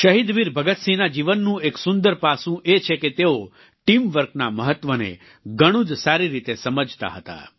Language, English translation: Gujarati, Another appealing aspect of Shahid Veer Bhagat Singh's life is that he appreciated the importance of teamwork